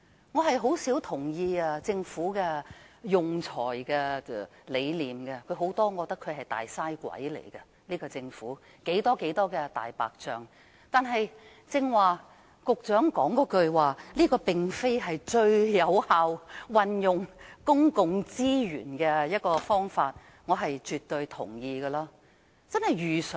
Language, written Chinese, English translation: Cantonese, 我甚少贊同政府的用財理念，因我認為政府在多方面也是"大嘥鬼"，有很多"大白象"工程，但對於局長剛才指出這並非最有效運用公共資源的方法，我卻絕對認同的。, I seldom approve of the Governments philosophy of spending because I consider the Government a squanderer in various aspects and it has many white elephant projects . But I absolutely agree with the Secretary who pointed out just now that this is not the most effective way of utilizing public resources . As always Dr CHIANG Lai - wan fails to sort out concepts clearly